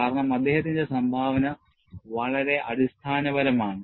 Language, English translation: Malayalam, This is because, the contribution has been very very fundamental